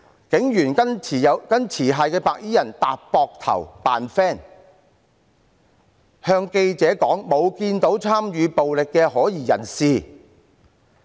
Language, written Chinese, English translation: Cantonese, 警員跟持械的白衣人搭膊頭，狀甚友好，對記者說沒看到參與暴力活動的可疑人士。, Police officers patted shoulders with the armed white - clad people and seemed quite friendly with them . They told reporters that they did not see any suspected persons participating in any violent activity